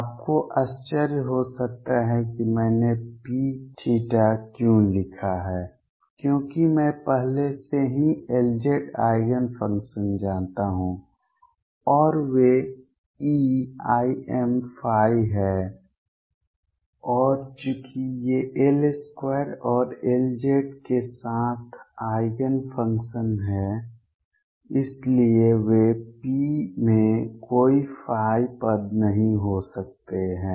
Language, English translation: Hindi, You may wonder why I wrote P theta that is because I already know the L z Eigen functions and those are e raised to i m phi and since these are simultaneous Eigenfunctions of L square and L z they cannot be any phi term in P